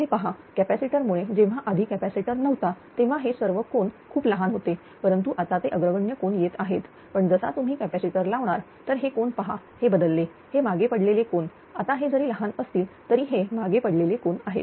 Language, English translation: Marathi, Look here because of the capacitor earlier when capacitors was not there all though this angle is very small, but it was coming leading angle, but as soon as you have put the capacitor; look this angle is a change, it is a lagging angle now all though it is small, but it is lagging angle